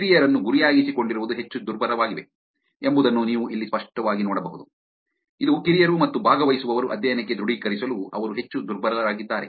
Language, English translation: Kannada, You can clearly see here that the younger targets are more vulnerable, which is the younger and the participants are the more vulnerable that they are to, for authenticating to the study